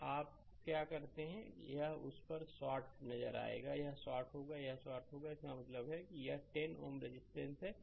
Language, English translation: Hindi, So, what you do that this will be shorted look at that, this will be shorted this will be shorted that means, this 10 ohm resistance